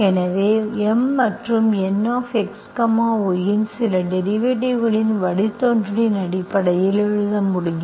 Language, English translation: Tamil, So M and N, I should be able to write in terms of personal derivative of some function of x, y